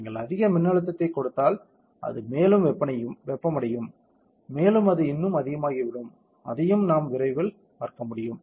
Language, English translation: Tamil, If you give more voltage, it will get heated up more and it will bulge more that also we can see soon